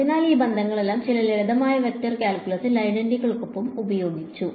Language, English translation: Malayalam, So, all of these relations were used along with some simple vector calculus identities right